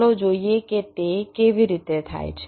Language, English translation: Gujarati, lets see how it happens